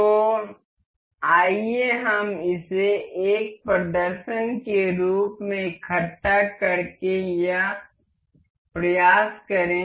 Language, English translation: Hindi, So, let us just try to assemble this as an demonstration